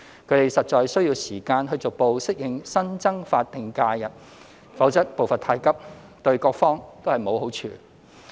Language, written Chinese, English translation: Cantonese, 他們實在需要時間逐步適應新增法定假日，否則步伐太急，對各方都沒有好處。, They indeed need time to gradually adapt to the additional SHs . Otherwise it will do no good to all parties if the pace goes too fast